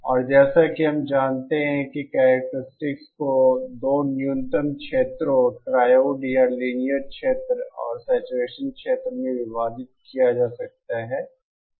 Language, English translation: Hindi, And as we know the characteristics can be divided into 2 minimum regions, the triode or the linear region and the saturation region